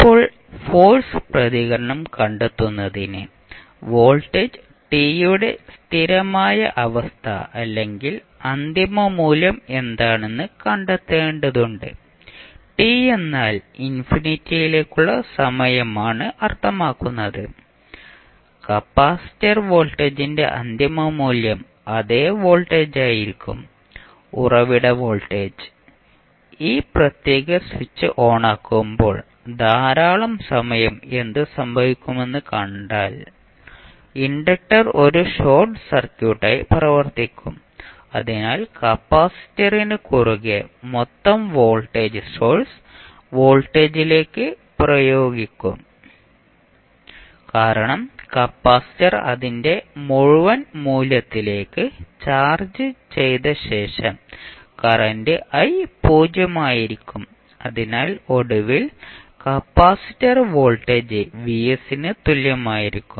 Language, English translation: Malayalam, Now to find the force response you need to find out what would be the steady state or final value of voltage t, so that is vt means the time which tends to infinity, the final value of capacitor voltage will be the same voltage that is the source voltage, if you see the figure when you keep on this particular switch on for a very long period what will happen, in that case your inductor will act as a short circuit, so the total voltage would be applied across the capacitor will be equal to the source voltage, because after the capacitor is charged to its full value your current i will also be 0, so you will get finally the capacitor voltage equal to Vs